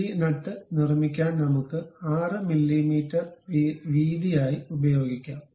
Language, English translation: Malayalam, So, let us use 6 mm as the width to construct this nut